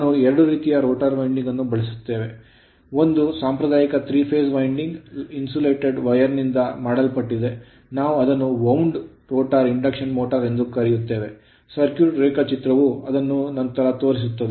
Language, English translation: Kannada, So, we use 2 types of rotor winding, one is that conventional 3 phase winding made of insulated wire, that that we call in the wound rotor induction motor some circuit diagram will show it later